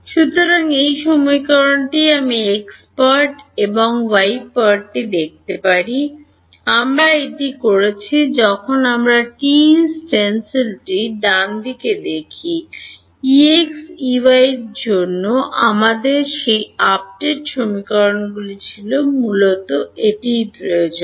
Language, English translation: Bengali, So, this equation I can look at the x part and the y part, we have done this when we look at the TE stencil right, we had those update equations for E x E y basically that is what is needed